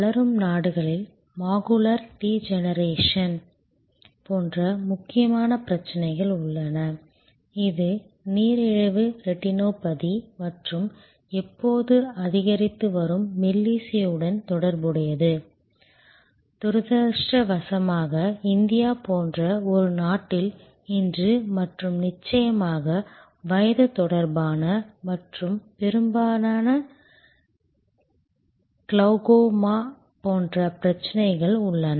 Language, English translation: Tamil, In developing countries, there are other critical raising problems like macular degeneration, which is quite connected to diabetic retinopathy and ever increasing melody, unfortunately in a country like India today and of course, there are age related and otherwise often occurring problem like glaucoma and so on